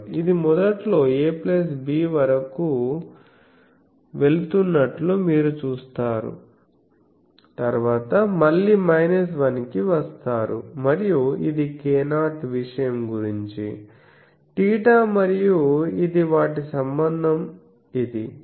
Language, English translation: Telugu, You see it is initially increasing going up to a plus b, then coming down again to minus 1 and this is about the k 0 thing so, theta and this their relation is this